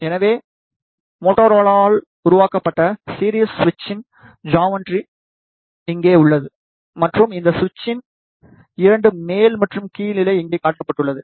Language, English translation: Tamil, So, here is a geometry of series switch which is made by Motorola and the 2 up and down state of this switch is shown here